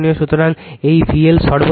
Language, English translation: Bengali, So, this is the VL max